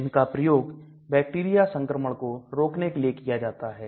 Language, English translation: Hindi, Again they are used for treatment of bacterial infection